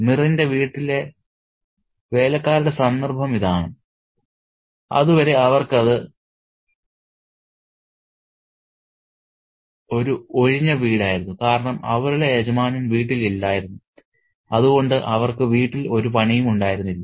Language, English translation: Malayalam, So, this is the context of the servants in Mir's home where until now they had an empty home because they didn't have the master at home, so they didn't have any business at home as well